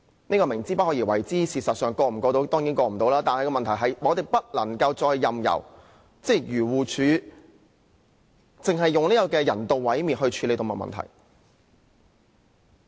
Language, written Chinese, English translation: Cantonese, 這是"明知不可為而為之"，因為修正案當然無法通過，但我們不能夠再任由漁農自然護理署只以人道毀滅來處理動物問題。, The amendment is seeking the impossible as it certainly cannot be passed . However we can no longer allow the Agriculture Fisheries and Conservation Department AFCD to handle animal problems with euthanasia only